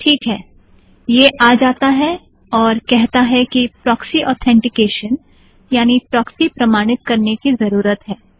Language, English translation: Hindi, Alright, it comes and says proxy authentication is required